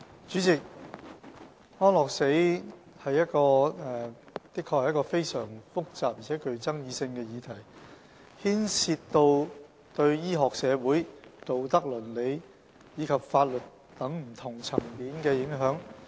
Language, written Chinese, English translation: Cantonese, 主席，安樂死的確是一個非常複雜而且具爭議性的議題，牽涉對醫學、社會、道德、倫理及法律等不同層面的影響。, President euthanasia is a highly complex and controversial issue involving implications in various dimensions including medical social moral ethical legal etc